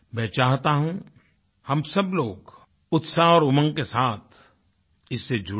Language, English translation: Hindi, I want all of us to join this great festival with enthusiasm and fervour